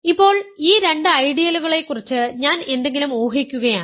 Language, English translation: Malayalam, Now, I am assuming something about these two ideals